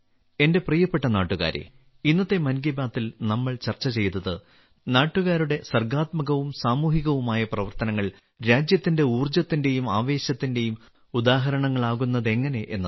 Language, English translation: Malayalam, My dear countrymen, the creative and social endeavours of the countrymen that we discussed in today's 'Mann Ki Baat' are examples of the country's energy and enthusiasm